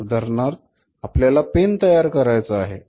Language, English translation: Marathi, For example you want to manufacture this pen, right